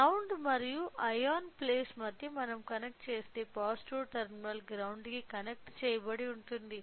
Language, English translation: Telugu, So, if we simply connected between the ground and ion place which means, that the positive terminal is connected to the ground